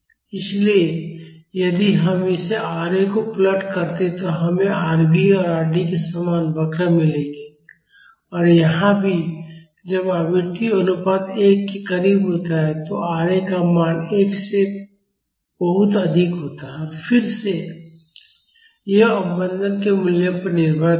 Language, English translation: Hindi, So, if we plot this Ra we would get curves similar to Rv and Rd and here also when the frequency ratio is near 1, the value of Ra is much higher than 1 and again it will depend upon the value of the damping